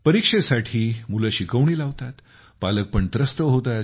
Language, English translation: Marathi, Children take tuition for the exam, parents are worried